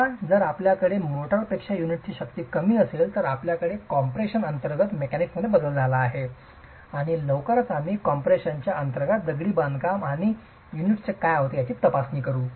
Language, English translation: Marathi, Now if you have a situation where the unit strength is lesser than the motor, you have a change in the mechanics under compression and very soon we will be examining what happens to an assembly of masonry and units under compression